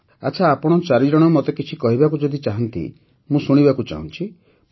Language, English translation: Odia, Well, if all four of you want to say something to me, I would like to hear it